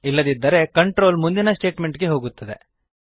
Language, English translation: Kannada, If not, the control then jumps on to the next statement